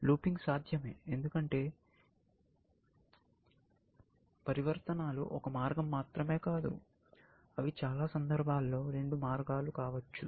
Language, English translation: Telugu, Looping is possible, because transformations are not one way; transformations can be two way in many situations